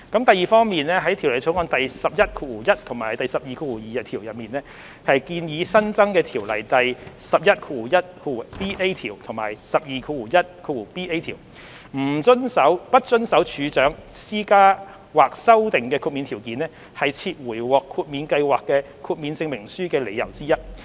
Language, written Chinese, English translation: Cantonese, 第二方面，在《條例草案》第111和122條，即建議新增的《條例》第111條和121條，"不遵守處長施加或修訂的豁免條件"是撤回獲豁免計劃的豁免證明書的理由之一。, Secondly in clauses 111 and 122 of the Bill ie . the proposed new sections 111ba and 121ba of the Ordinance non - compliance of an exemption condition imposed or amended by the Registrar is one of the grounds for withdrawal of the exemption certificate of an exempted scheme